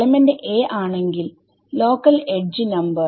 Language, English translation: Malayalam, Say element a and local node the local edge number what